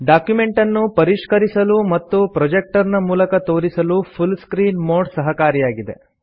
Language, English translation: Kannada, The full screen mode is useful for editing the documents as well as for projecting them on a projector